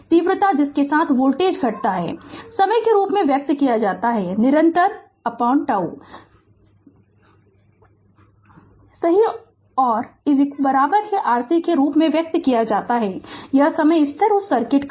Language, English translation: Hindi, The rapidity, which we with which the voltage decreases is expressed in terms of the time constant denoted by tau right and expressed as tau is equal to R C this is the time constant of that circuit